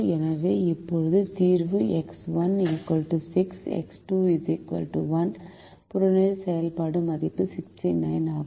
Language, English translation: Tamil, so right now the solution is x one equal to six, x two equal to one with objective function value sixty nine